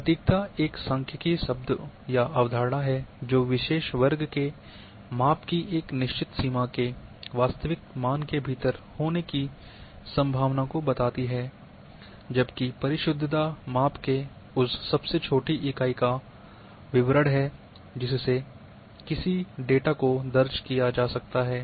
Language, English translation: Hindi, First accuracy is a statistical term or concept which states the likelihood of probability that a particular set of measurements are within certain range of true values,whereas precision is a statement of smallest unit of measurement to which data can be recorded